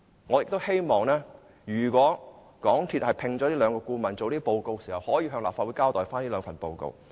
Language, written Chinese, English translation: Cantonese, 我希望如果港鐵公司會聘請顧問，會向立法會交代這兩份報告。, If MTRCL engages these consultants I hope it will submit both reports to the Legislative Council